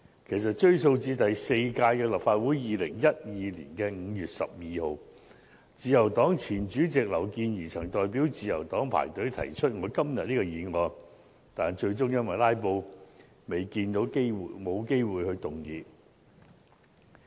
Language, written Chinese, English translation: Cantonese, 其實，追溯至第四屆立法會的2012年5月12日，自由黨前主席劉健儀曾代表自由黨排隊提出我今天這項議案，但最終因為"拉布"而沒有機會動議。, In fact as early as on 12 May 2012 in the fourth Legislative Council Ms Miriam LAU our former Chairman of the Liberal Party applied for a debate slot on behalf of our party to propose the motion I moved today but she did not have the opportunity to move it due to Members filibustering in the Council meeting